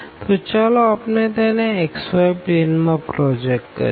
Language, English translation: Gujarati, So, let us project into the xy plane